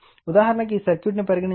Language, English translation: Telugu, For example, for example, say take this circuit